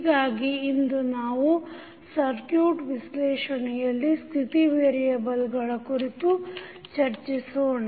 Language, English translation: Kannada, So, today we will discuss about the application of state variable analysis in the circuit analysis